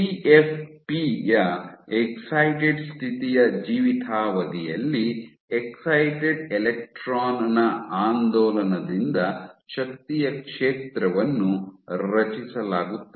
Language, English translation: Kannada, So, for if you have during the lifetime of excited state of CFP, an energy field is created gets created by oscillation of the excited electron